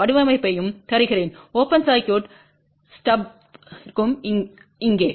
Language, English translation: Tamil, I will also give you the design for open circuit stub here also